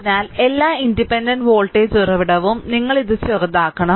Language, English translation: Malayalam, So, all the independent if it is a voltage source, you have to short it